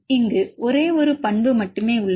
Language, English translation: Tamil, There is only one property here